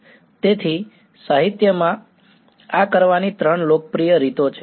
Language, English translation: Gujarati, So, in the literature there are three popular ways of doing this